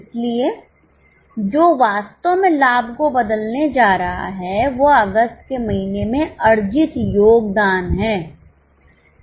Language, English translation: Hindi, So, what is really going to change profit is a contribution earned in the month of August